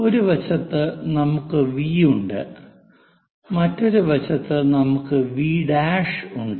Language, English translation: Malayalam, Let us mark this point as V this is the point V